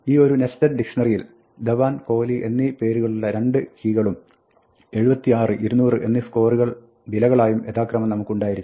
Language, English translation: Malayalam, In a nested dictionaries, we have two keys Dhawan and Kohli with scores 76 and 200 as the values